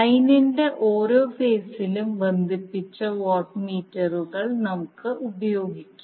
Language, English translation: Malayalam, We will use the watt meters connected in each phase of the line